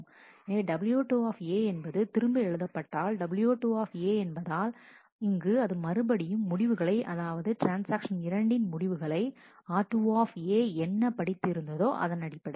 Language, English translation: Tamil, So, w what will w 2 A do w 2 A will write back the write back w 2 A is here, will write back the result of the computation in transaction 2 based on what it read in the r 2 A